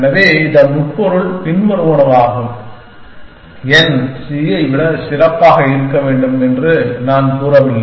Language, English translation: Tamil, So, the implication of this is the following that, I am not saying that n should be better than c